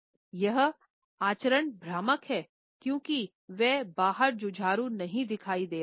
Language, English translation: Hindi, His demeanour is deceptive, precisely because it does not appear outwardly belligerent